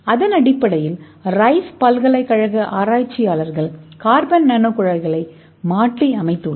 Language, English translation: Tamil, so based on that researchers from Rice University they have modified the carbon nano tube